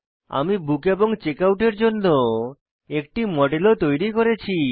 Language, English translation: Bengali, I have also created a model for Book and Checkout